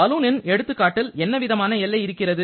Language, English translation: Tamil, Now, in case of balloon what kind of boundary you have